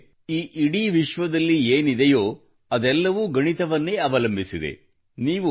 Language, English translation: Kannada, That is, whatever is there in this entire universe, everything is based on mathematics